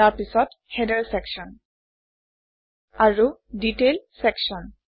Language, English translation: Assamese, Then the Header section and the Detail section